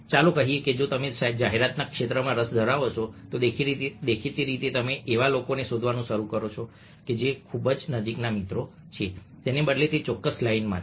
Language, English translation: Gujarati, let's see that if you're interested in the field of advertising, obliviously you will start exploring people who are in that particular line, rather than people who are very close friends